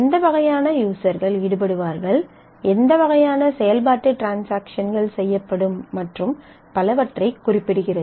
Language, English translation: Tamil, If it will specify what kind of users will be involved what kinds of operations transactions will be performed and so on